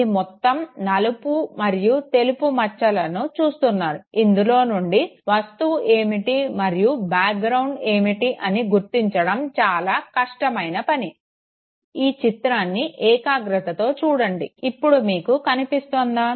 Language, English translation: Telugu, It is all no mix of black and white patches, it is extremely difficult to no decipher what is the object and what is the background, just concentrate at it, are you able to see